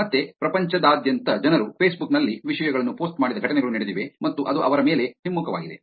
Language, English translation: Kannada, Again there have been incidences all around the world where people have actually posted the things on Facebook and it is actually backfired on them